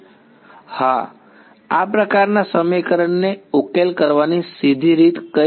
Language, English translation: Gujarati, Yes what is the straightforward way of solving this kind of an equation